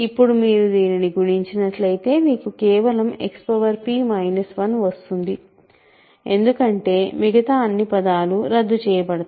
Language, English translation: Telugu, And now if you multiply this out what you get is simply X power p minus 1 because all the other terms will cancel out, right